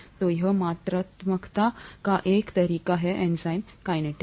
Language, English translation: Hindi, So this is one way of quantifying enzyme kinetics